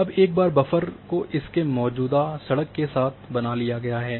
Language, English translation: Hindi, Now, once the buffer has been created all along its existing road